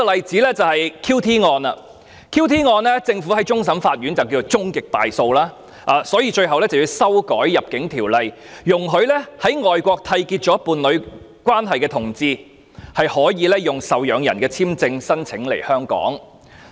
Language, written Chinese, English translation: Cantonese, 就着 QT 案，政府在終審法院已被判終極敗訴，所以最終要修改《入境條例》，容許在外國締結伴侶關係的同志能申請受養人簽證在港逗留。, With regard to the QT case following its ultimate defeat in the Court of Final Appeal the Government had to introduce legislative amendments to the Immigration Ordinance so that homosexual couples who have entered into a union in overseas countries may apply for a dependant visa to stay in Hong Kong